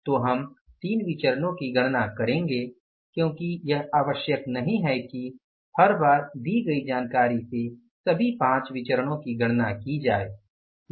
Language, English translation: Hindi, So, we will calculate the three variances because it is not required all the times that from the given information all the five variances can be calculated